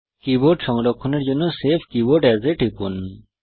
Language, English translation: Bengali, To save the keyboard, click Save Keyboard As